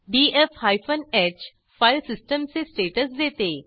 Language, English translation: Marathi, df hyphen h gives filesystem status